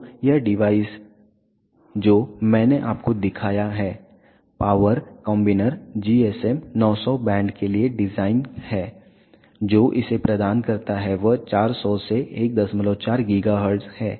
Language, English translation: Hindi, So, this device that I showed you power combiner is design for GSM 900 band the bandwidth that it provides is from 400 to 1